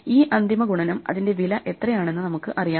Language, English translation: Malayalam, So this final multiplication, we know how much it is going to cost